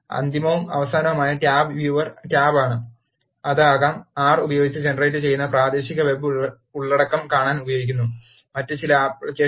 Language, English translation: Malayalam, The final and last tab is the Viewer tab, which can be used to see the local web content that is generated using R, are some other application